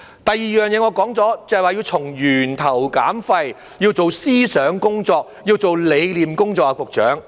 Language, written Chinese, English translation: Cantonese, 另一點，我已說過，就是要從源頭減廢，要做思想工作，要做理念工作，局長。, Another point as I have said is the need to reduce waste at source and engage in ideological and philosophical work Secretary